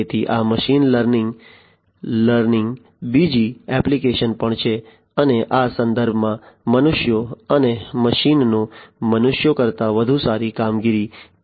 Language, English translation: Gujarati, So, this is also another application of machine learning and how humans and machines can perform better than humans, in these contexts